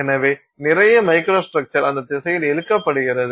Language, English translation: Tamil, So, a lot of microstructure gets sort of pulled in that direction